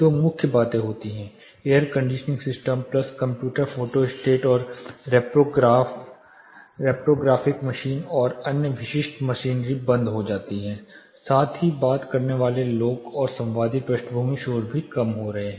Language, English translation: Hindi, Two main things happen air conditioning system plus the computers Photostat and reprographic machines and other typical machineries are turned off, plus people talking and conversational background noises are also coming down